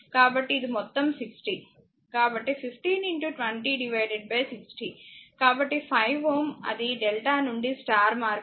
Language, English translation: Telugu, So, it is total 60; so 15 into 20 by 6; so that is equal to 5 ohm that is delta to star conversion